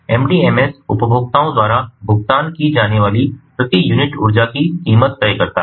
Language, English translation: Hindi, the mdms decides the price per unit energy to be paid by the consumers